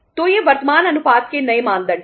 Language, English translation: Hindi, So these are the new norms of the current ratios